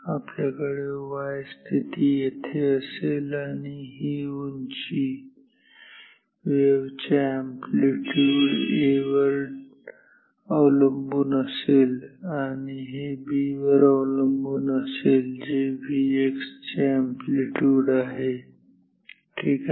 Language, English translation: Marathi, So, we will have y position here, this height will be proportional to A the amplitude of this wave and this will be proportional to B, the amplitude of V x ok